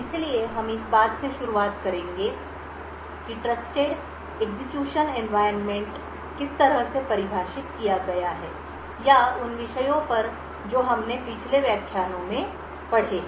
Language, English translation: Hindi, So, we will start off with how Trusted Execution Environment is different from confinement or the topics that we have studied in the previous lectures